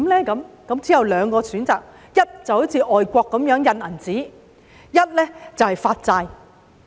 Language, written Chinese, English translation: Cantonese, 之後只有兩個選擇：第一，就是像外國般印銀紙，第二便是發債。, There will only be two options . First printing money like some overseas countries; and second issuing bonds